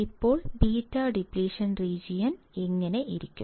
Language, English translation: Malayalam, Now beta depletion region will be like this